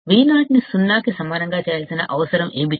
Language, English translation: Telugu, What is it that we need to make Vo equal to 0